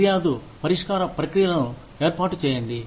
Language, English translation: Telugu, Establish a complaint resolution process